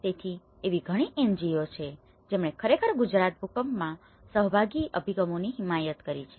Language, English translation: Gujarati, So, there are many NGOs who have actually advocated participatory approaches in Gujarat earthquake